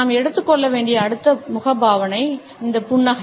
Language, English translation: Tamil, The next facial expression which we shall take up is this smile